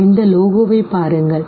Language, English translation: Tamil, Look at this very logo